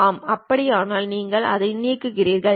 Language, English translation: Tamil, Yes, if that is the case you delete it